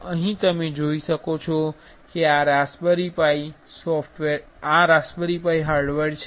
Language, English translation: Gujarati, Here you can see these this is a raspberry pi